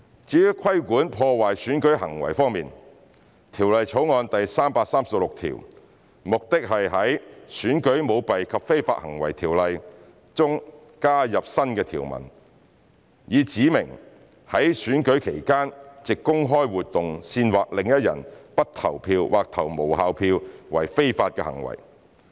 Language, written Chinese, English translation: Cantonese, 至於規管破壞選舉行為方面，《條例草案》的第336條旨在於《選舉條例》中加入新的條文，以指明在選舉期間藉公開活動煽惑另一人不投票或投無效票為非法行為。, Regarding the regulation of conduct that sabotages an election clause 336 of the Bill seeks to add a new provision to the Elections Ordinance to specify the illegal conduct of inciting another person not to vote or to cast an invalid vote by public activity during an election period